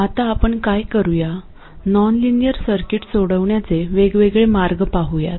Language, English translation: Marathi, What we will do now is to look at approximate ways of solving nonlinear circuits